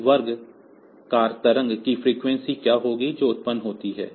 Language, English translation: Hindi, So, so much of what will be the frequency of this square wave that is generated